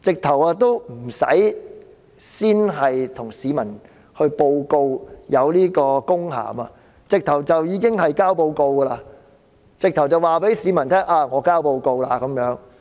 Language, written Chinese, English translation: Cantonese, 她甚至無須先向市民知會有此公函，便已經提交報告，直接告訴市民她提交報告。, She did not even bother to let the public know the presence of this official letter before submitting the report and subsequently told the public her submission directly